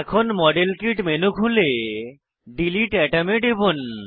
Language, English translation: Bengali, Open modelkit menu and check against delete atom